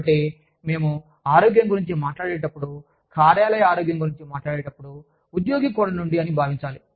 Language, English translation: Telugu, So, when we talk about health, when we talk about workplace health, from the employee's perspective